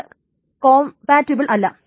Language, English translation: Malayalam, This is not compatible